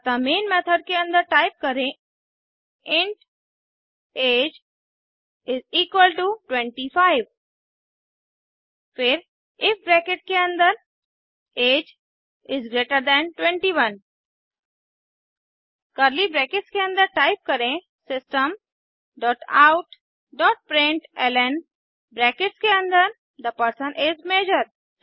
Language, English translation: Hindi, So inside the Main method type int age is equal to 25 then if within brackets age greater than 21, within curly brackets type System dot out dot println within brackets The person is Major